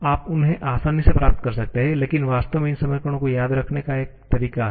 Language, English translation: Hindi, You can easily derive them but there is actually a way of remembering these equations